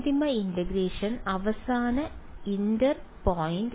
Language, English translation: Malayalam, And final integration final inter point is